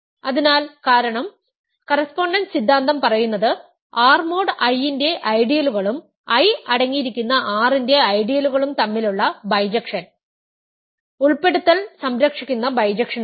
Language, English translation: Malayalam, So, this is because, the correspondence theorem says that the bijection between ideals of R mod I and ideals of R that contain I is an inclusion preserving bijection